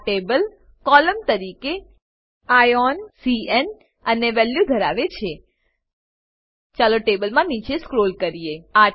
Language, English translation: Gujarati, This table contains Ion, C.N, and Value as columns Let us scroll down the table